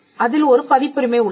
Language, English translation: Tamil, So, what is a copyright